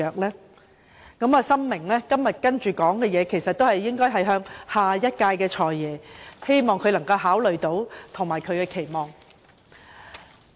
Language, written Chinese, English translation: Cantonese, 所以，我深明以下發言的對象應為下一任"財爺"，希望他到時能考慮我將要提出的種種期望。, Therefore I deeply understand that I shall direct my speech at the next God of Wealth in the hope that he will give consideration to the many aspirations I am going to express